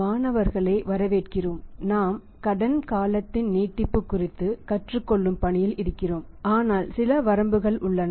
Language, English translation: Tamil, Welcome students so we are in the process of learning about the extension of the credit period but there are certain limitations